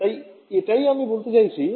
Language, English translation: Bengali, So, that is what I am trying to say